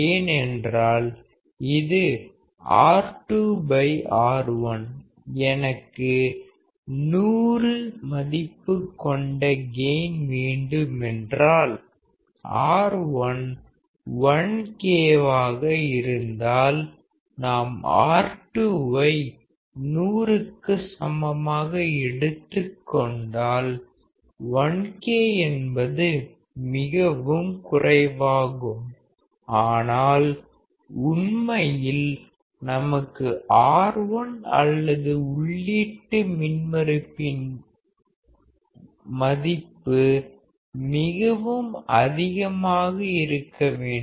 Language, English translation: Tamil, Because it is R2 by R1; if I want to have gain of 100; if R1 is 1K; if we select R2 equal to 100; 1K is extremely small, but in reality we should have R1 or the input impedance extremely high